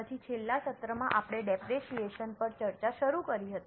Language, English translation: Gujarati, Then in the last session we had started discussion on depreciation